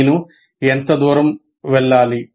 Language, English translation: Telugu, How far should I go